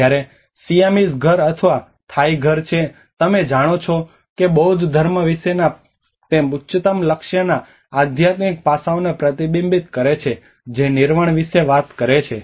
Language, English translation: Gujarati, Whereas the Siamese house or the Thai house it reflects to the spiritual aspects of the highest goal you know of the Buddhism which is talking about the Nirvana